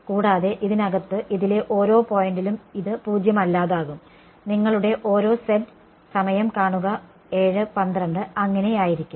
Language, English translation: Malayalam, And, this is going to be non zero at every point inside this, right every of your z to be the case